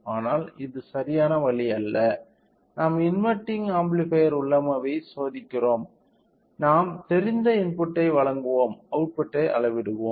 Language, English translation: Tamil, So, but this is not the right way in sense we are testing our inverting amplifier configuration we will provide the known input and we will measure the outside right